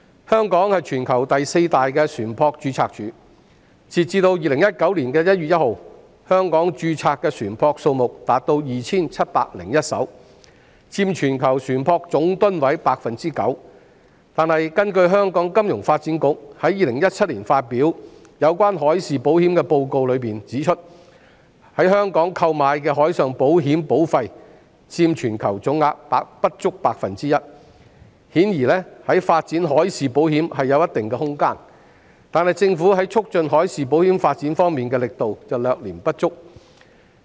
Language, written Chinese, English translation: Cantonese, 香港是全球第四大船舶註冊處，截至2019年1月1日，香港註冊的船舶數目達 2,701 艘，佔全球船舶總噸位 9%， 但根據香港金融發展局在2017年發表的海事保險報告，在香港購買海事保險的保費佔全球總額不足 1%， 顯然在發展海事保險方面尚有一些空間，但政府在促進海事保險發展方面的力度略嫌不足。, Hong Kong is the worlds fourth largest ship register . As of 1 January 2019 2 701 ships have registered in Hong Kong accounting for 9 % of the total gross tonnage . But according to the report on marine insurance released by the Financial Services Development Council in 2017 the premiums of marine insurance that took out in Hong Kong accounted for less than 1 % of the global total